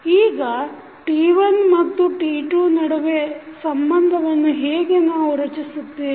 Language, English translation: Kannada, Now, how we will create the relationship between T1 and T2